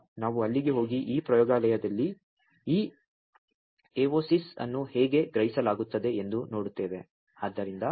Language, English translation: Kannada, So, we will just go there and see that how this evosis are being sensed in this laboratory